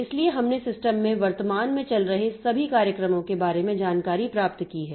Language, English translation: Hindi, So, there we have got information about all the currently running programs that we have in the system